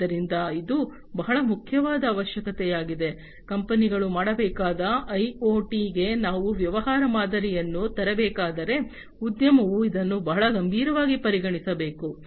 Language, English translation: Kannada, So, this is a very important requirement, if we have to come up with a business model for IoT the companies should, the industry should consider this very seriously